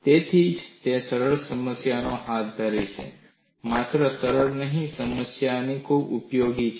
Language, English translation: Gujarati, That is why I have taken up a simple problem; it is not only simple, the problem is quite useful